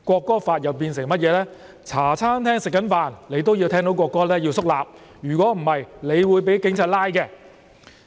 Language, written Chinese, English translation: Cantonese, 便是如果你在茶餐廳用膳時聽到國歌也要肅立，否則你便會被警察拘捕。, That is one had to stand up solemnly while eating at a Hong Kong - style tea restaurants if he heard the National Anthem otherwise he would be apprehended by the Police